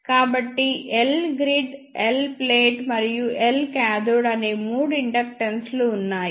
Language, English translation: Telugu, So, there are three inductances L grid, L plate and L cathode